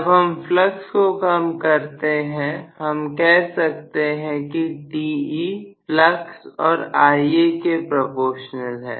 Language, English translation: Hindi, When we reduce speed flux we can say Te is proportional to flux into Ia